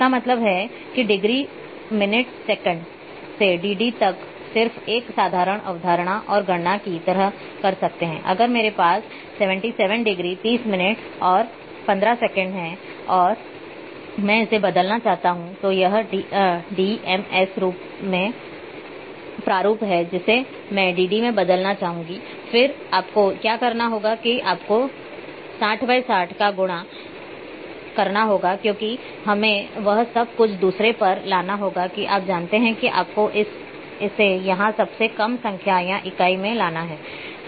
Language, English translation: Hindi, That means, degree minute seconds to dd by just a applying simple concept and calculations like, if I am having a say 77 degree, 30 minutes and 15 seconds and I want to convert this is d m s format I want to convert in dd then, what you have to do you multiply by 60 multiply by 60 because, we have to bring everything to the second that is our you know the least count or the unit here